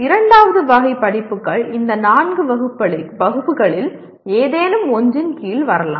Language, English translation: Tamil, The second category of courses can come under any of these four classes